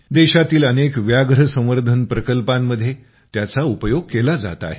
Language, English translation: Marathi, It is being used in many Tiger Reserves of the country